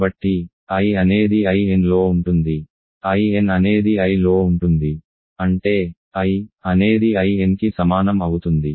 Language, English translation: Telugu, So, I is contained I n, I n is contained in I; that means, I is equal to I n